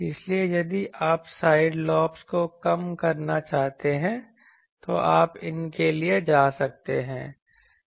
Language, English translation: Hindi, So, if you want to these are simple things that if you want to reduce side lobes you can go for these